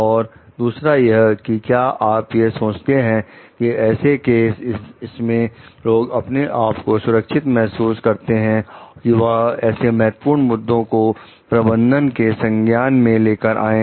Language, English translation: Hindi, Another is do you think in such cases people would feel safe to bring out important issues to the notice of management